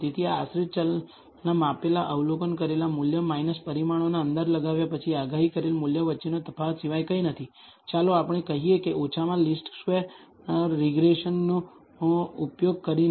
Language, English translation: Gujarati, So, this is nothing but the difference between the measured, observed value of the dependent variable minus the predicted value after you have estimated the parameters, let us say using least squares regression